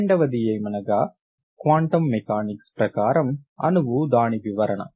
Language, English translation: Telugu, The second, so therefore that is the quantum mechanics of the molecule